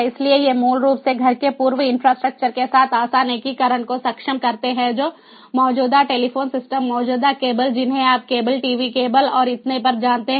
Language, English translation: Hindi, so these basically enables easy integration with p existing house infrastructure, like existing telephone systems, existing cables, you know cable, television cables and so on